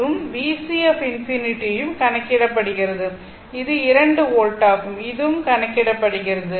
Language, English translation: Tamil, And V C infinity also calculated for you, it is 2 volt that also calculated, I calculated for you